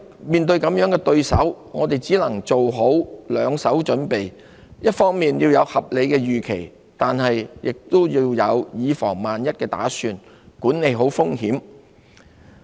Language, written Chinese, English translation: Cantonese, 面對這樣的對手，我們只能做好兩手準備，一方面要有合理預期，但亦要有以防萬一的打算，管理好風險。, Faced with such an opponent we must make provision for different scenarios maintaining reasonable expectations on the one hand while making precautionary preparations and properly managing the risks on the other